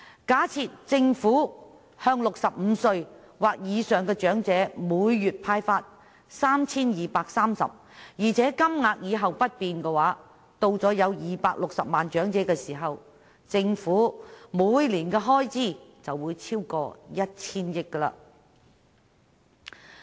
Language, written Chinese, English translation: Cantonese, 假設政府向65歲或以上的長者每月派發 3,230 元，而且金額以後不變，當長者人數達260萬時，政府每年的開支便會超過 1,000 億元。, Suppose the Government is to disburse 3,230 to every elderly person aged 65 or above each month with no changes in the amount in future the Government will incur an annual expenditure of over 100 billion when the elderly population reaches 2.6 million